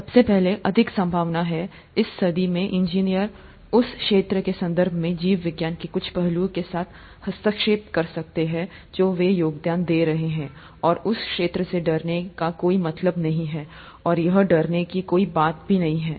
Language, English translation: Hindi, Most likely, engineers in this century may be interfacing with some aspect of biology in terms of the field that they’d be contributing to, and there’s no point in fearing that field and it's nothing to fear about